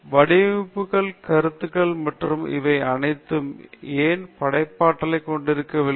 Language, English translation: Tamil, Why are designs, concepts, and all these things not creative